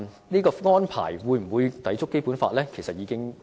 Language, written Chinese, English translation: Cantonese, 此安排會否抵觸《基本法》？, Will this arrangement contravene the Basic Law?